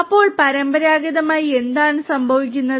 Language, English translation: Malayalam, So, you know traditionally what used to happen